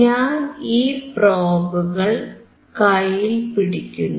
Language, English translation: Malayalam, I am holding this probes